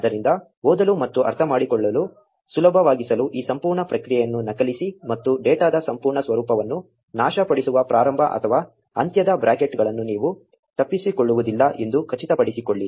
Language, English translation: Kannada, So, to make it easier to read and understand, just copy this entire response, and make sure you do not miss the starting or the ending brackets that just destroys the entire format of data